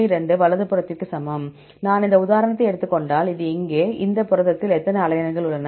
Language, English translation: Tamil, 2 right; this is if I take this example; here how many alanines in this protein